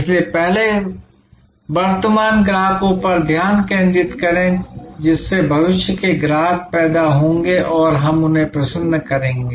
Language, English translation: Hindi, So, first is focus on current customers, which will lead to future customers and how we will delight them